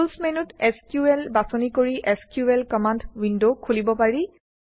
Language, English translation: Assamese, The SQL command window is accessed by choosing SQL from the Tools menu